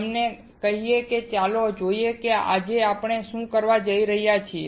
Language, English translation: Gujarati, Having said that, let us see what we are going to do today